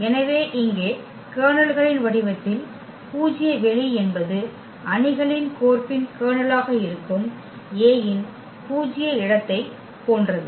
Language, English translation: Tamil, So, here the null space in the form of the kernels is same as the null space of a that is the kernel of the matrix mapping